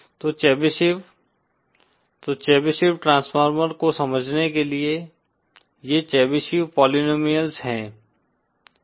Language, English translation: Hindi, So the Chebyshev so in order to understand the Chebyshev transformer, these are the Chebyshev polynomials